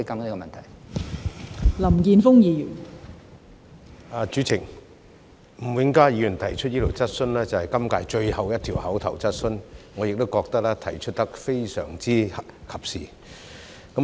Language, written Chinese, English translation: Cantonese, 代理主席，吳永嘉議員提出的這項質詢是今屆最後一項口頭質詢，我亦認為提得非常及時。, Deputy President this question raised by Mr Jimmy NG is the last question seeking an oral reply in this term which I think is very timely